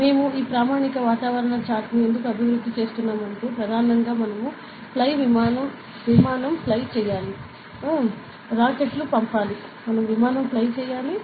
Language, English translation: Telugu, Why we develop this standard atmospheric chart is, for mainly because we need to do a fly aircraft, send rockets and everything